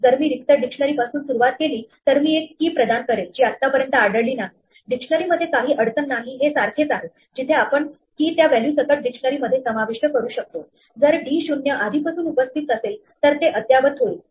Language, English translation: Marathi, If I start with an empty dictionary then I assign a key, which has not been seen so far, in a dictionary there is no problem it is just equivalent to inserting this key in the dictionary with that value, if d 0 already exists it will be updated